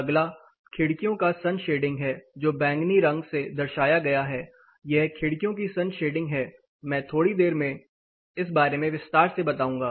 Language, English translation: Hindi, The next one is sun shading of windows which represents you know which is represented in this colour it is a violet, this is the sun shading of windows I will explain this little in detail in a quick while